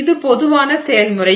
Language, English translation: Tamil, So, this is the general process